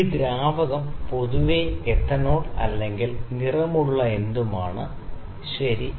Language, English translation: Malayalam, This fluid is generally some ethanol, something anything that is coloured, ok